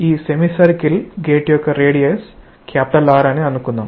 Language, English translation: Telugu, Let us say that the radius of this semicircular gate is R